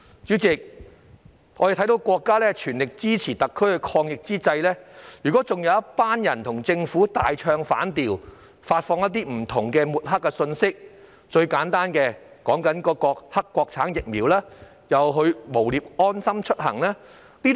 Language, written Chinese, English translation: Cantonese, 主席，我們看到在國家全力支持特區抗疫之際，有一群人與政府大唱反調，發放各式各樣的抹黑信息，最簡單的例子是抹黑國產疫苗及誣衊"安心出行"。, President we can see that while the country is giving SAR full support in the fight against the epidemic a group of people strike an opposite note to the Government by disseminating various smear messages . A very simple example is the smear against Mainland - manufactured vaccines and the stigmatization of the LeaveHomeSafe mobile application